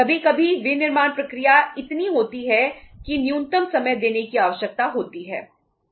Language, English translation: Hindi, Sometimes manufacturing process is so that minimum time is required to be given